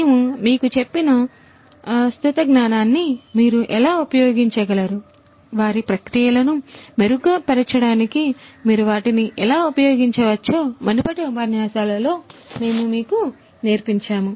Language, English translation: Telugu, How you could use those existing knowledge that we have covered, we have taught you in the previous lectures how you could use them in order to improve their processes better